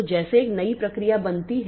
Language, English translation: Hindi, So, as a, like a new process is created